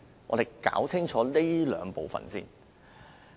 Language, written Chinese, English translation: Cantonese, 我們要先搞清楚這兩部分。, We have to be clear about these two first